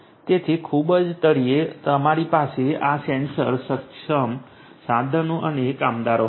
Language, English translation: Gujarati, So, at the very bottom we will have this sensor enabled tools and workers